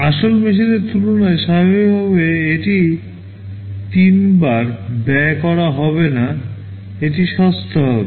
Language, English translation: Bengali, Naturally this will not be costing three times as compared to the original machine, this will be cheaper